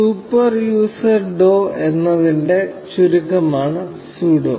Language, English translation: Malayalam, Sudo is short for super user do